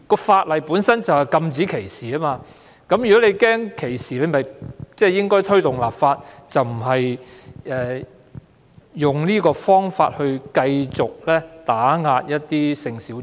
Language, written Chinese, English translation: Cantonese, 法例本身就是要禁止歧視，如果他擔心歧視，便應該推動立法，而不是用這種方法繼續打壓性小眾。, In fact the legislation per se is to prohibit discrimination . If Mr CHOW is worried about discrimination he should advocate enacting such legislation instead of continuing to suppress the sexual minorities in this way